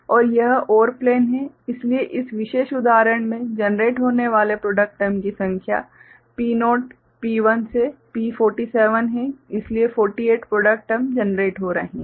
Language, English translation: Hindi, And this is the OR plane, so in the number of product term that is getting generated in this particular example is P naught, P1 to P47, so 48 product terms are getting generated ok